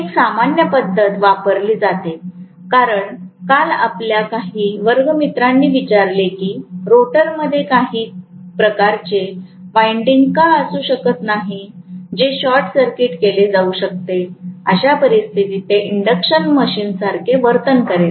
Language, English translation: Marathi, Another method normally that is used because some of your classmates yesterday asked, why cannot you have some kind of winding in the rotor which can be short circuited, in which case it will exactly behave like an induction machine, right